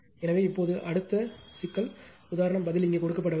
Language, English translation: Tamil, So, now, next problem is example answer is not given here answer is not given here